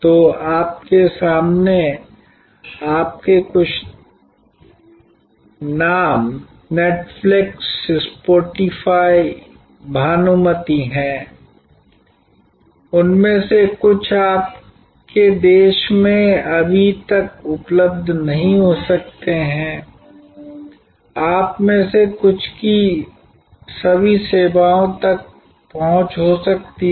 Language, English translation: Hindi, So, you have in front of you some of these names Netflix, Spotify, Pandora some of them may not be as yet available in your country, some of you may have access to all the services